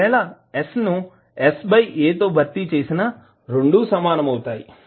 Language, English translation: Telugu, If you replace s by s by a both will be same